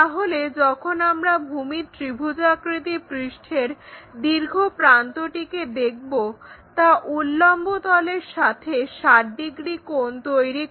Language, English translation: Bengali, So, when we are seeing the longer edge of the triangular face that makes 60 degrees with this vertical plane